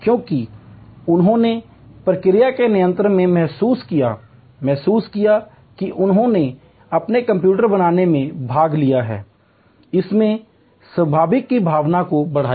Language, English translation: Hindi, Because, they felt in control of the process, the felt that they have participated in creating their own computer, it enhanced the sense of ownership